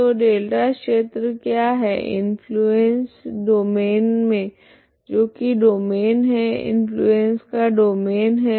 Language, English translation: Hindi, So what is the delta region the domain of influency that is the domain of influence that is this is the domain